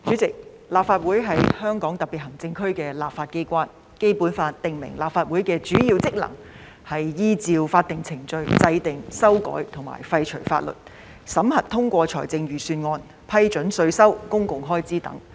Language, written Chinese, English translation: Cantonese, 主席，立法會是香港特別行政區的立法機關，《基本法》訂明立法會的主要職能是依照法定程序制定、修改和廢除法律；審核通過財政預算案；批准稅收及公共開支等。, President the Legislative Council is the legislature of the Hong Kong Special Administrative Region . Under the Basic Law the main duties and functions of the Legislative Council are to enact amend or repeal laws in accordance with the legal procedures to examine and approve budgets to approve taxation and public expenditure and so on